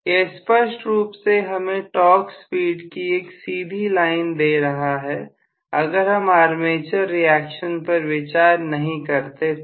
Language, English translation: Hindi, So this clearly gives me a straight line torque speed relationship provided I do not consider armature reaction